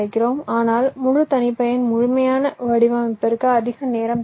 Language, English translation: Tamil, but full custom, complete design, will require much more time